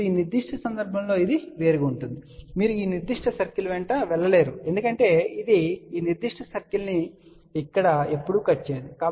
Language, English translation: Telugu, Now, in this particular case it is different now, you cannot just move along this particular circle because it will never ever cut this particular circle here